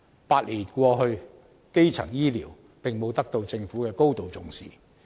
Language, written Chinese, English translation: Cantonese, 八年過去，基層醫療並沒有得到政府高度重視。, Despite the passage of eight years primary health care has failed to receive any serious attention from the Government